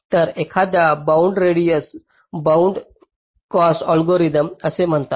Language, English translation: Marathi, so one is called the bounded radius bounded cost algorithm